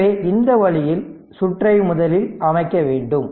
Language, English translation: Tamil, So, this way first we have to make the circuit